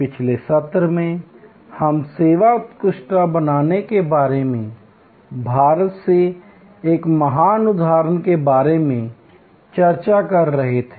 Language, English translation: Hindi, In the last session, we were discussing about a great example from India about creating service excellence